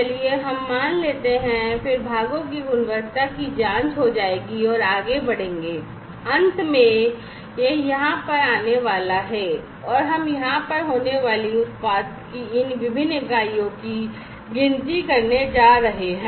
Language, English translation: Hindi, Let us assume, then the parts will get quality tested and move forward and finally, it will it is going to come over here and we are going to have the counting of these different units of product taking place over here